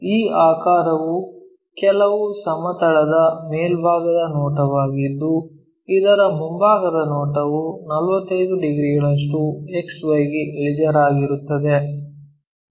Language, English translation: Kannada, This figure is top view of some plane whose front view is a line 45 degrees inclined to xy